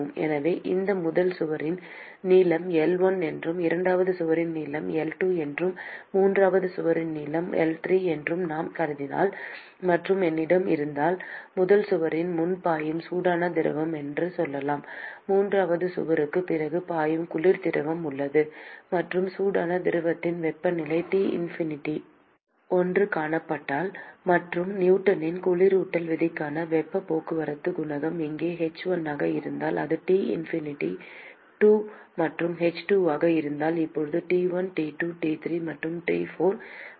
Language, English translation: Tamil, And so if I assume that the length of this first wall is L1, length of the second wall is L2, length of the third wall is L3; and if I have, let us say, hot fluid which is flowing before the first wall; and there is a cold fluid which is flowing after the third wall; and if the temperature of the hot fluid is seen T infinity 1 and if the heat transport coefficient for Newton’s law of cooling is h1 here and if it is T infinity 2 and h2 and I can now specify temperatures T1,T2, T3 and T4